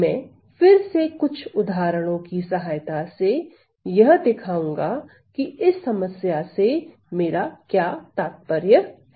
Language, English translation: Hindi, And again I am going to show you with some examples as to what, what do I mean by this problem